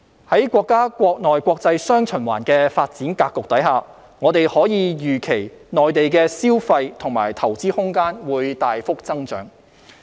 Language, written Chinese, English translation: Cantonese, 在國家國內國際"雙循環"的發展格局下，我們可以預期內地的消費和投資空間會大幅增長。, Under the countrys dual circulation development pattern we can anticipate that the room for consumption and investment in the Mainland will grow significantly